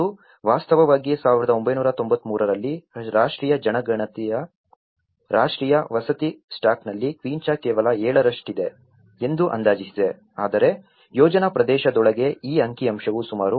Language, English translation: Kannada, And in fact, in 1993, the national census estimated that the quincha formed just 7% of the national housing stock but within the project area, this figure rose to nearly 30%